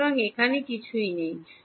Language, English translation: Bengali, So, there is nothing over here